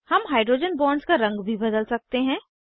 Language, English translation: Hindi, We can also change the color of hydrogen bonds